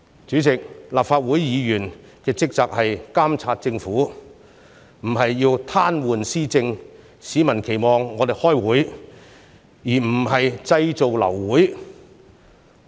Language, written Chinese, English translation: Cantonese, 主席，立法會議員的職責是監察政府，而不是癱瘓施政，市民期望我們開會，而不是製造流會。, President one of the duties of Members of the Legislative Council is to monitor the Government not to paralyse its policy implementation . Members of the public expect us to convene meetings not to cause abortion of meetings